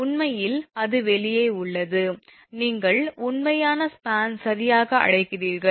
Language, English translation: Tamil, Actually it is outside the, you are what you call actual span right